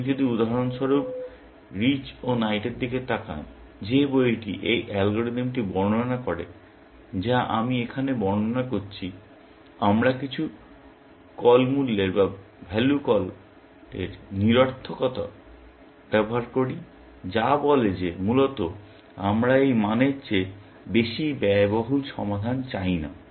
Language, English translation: Bengali, If you look at for example, rich and night, the book which describes this algorithm, that I am describing here; we use that some value call futility, which says that basically, we do not want solution which is more expensive than this value